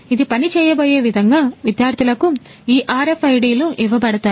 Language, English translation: Telugu, The way this is going to work is the students will be given these RFIDs